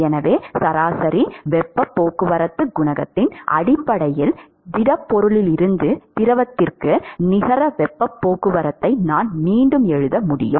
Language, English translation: Tamil, So, I can rewrite the net heat transport from the solid to the fluid in terms of the average heat transport coefficient